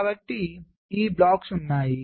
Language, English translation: Telugu, so these blocks are there